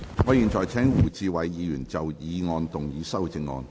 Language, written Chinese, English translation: Cantonese, 我現在請胡志偉議員就議案動議修正案。, I now call upon Mr WU Chi - wai to move his amendment to the motion